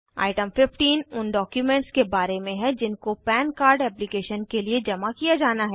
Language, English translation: Hindi, Item 15, is about documents to be submitted for Pan Card application